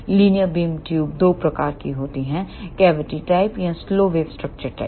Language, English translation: Hindi, Linear beam tubes are of two types, cavity type and slow wave structure type